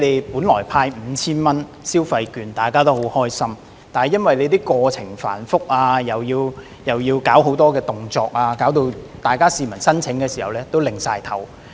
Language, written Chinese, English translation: Cantonese, 本來政府派發 5,000 元消費券，大家也感到很開心，但由於申請過程繁複，要求市民做很多動作，致令大家申請時也不禁搖頭。, The Governments proposal of issuing consumption vouchers valued at 5,000 delighted the people at first but the complicated application process which requires the applicants to complete many steps has made us shake our heads